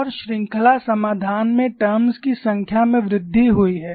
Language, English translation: Hindi, And the number of terms in the series solution is incrementally increased